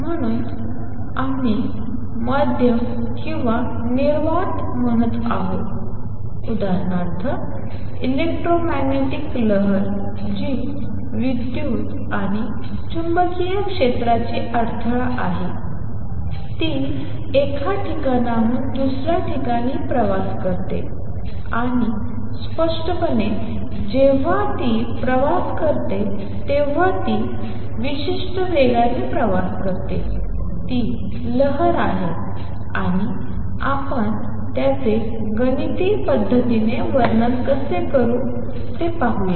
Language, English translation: Marathi, So, we are saying medium or in vacuum; for example, electromagnetic waves which is the disturbance of electric and magnetic field travelling from one place to another and obviously, when it travels, it travels with certain speed; that is the wave and how do we describe it mathematically let us see that